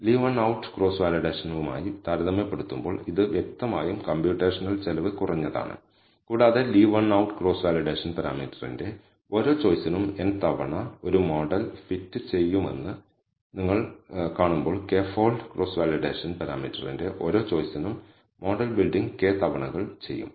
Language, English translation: Malayalam, This is obviously less expensive computationally as compared to Leave One Out Cross Validation and as you see that leave one out cross validation will do a model fitting n times for every choice of the parameter whereas k fold cross validation will do the model building k times for every choice of the parameter